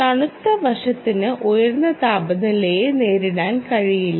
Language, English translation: Malayalam, cold side cannot, which stand high temperatures